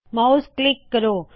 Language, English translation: Punjabi, Click the mouse